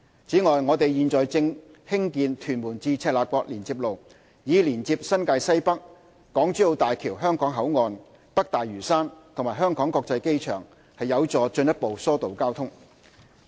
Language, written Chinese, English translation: Cantonese, 此外，我們現正興建屯門至赤鱲角連接路，以連接新界西北、港珠澳大橋香港口岸、北大嶼山和香港國際機場，有助進一步疏導交通。, Besides the Tuen Mun - Chek Lap Kok Link which is under construction will connect NWNT with the Hong Kong Boundary Crossing Facilities of the Hong Kong - Zhuhai - Macao Bridge North Lantau and the Hong Kong International Airport to further alleviate traffic